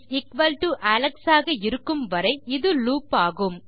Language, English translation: Tamil, As long as the name=Alex this will loop